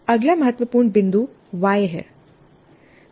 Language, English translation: Hindi, The next important point is why